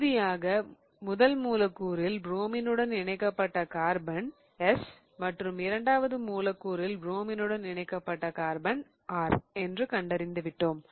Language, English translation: Tamil, Okay, so we have established that in the first molecule the carbon attached to the bromine is S and in the second molecule the carbon attached to bromine is R